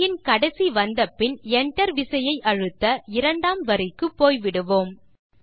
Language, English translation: Tamil, When you reach the end of the line, press the Enter key, to move to the second line